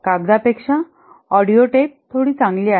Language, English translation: Marathi, Audio tape is slightly better than paper